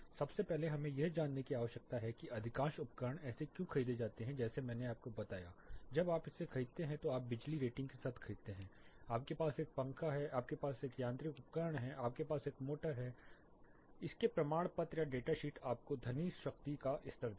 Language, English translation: Hindi, First of all why do we need to know this most of the equipment say like I told you the speakers when you buy you buy it with the power rating, you have a fan, you have a mechanical equipment, you have a motor you have a pump any test you know certificate or the data sheet will give you the sound power levels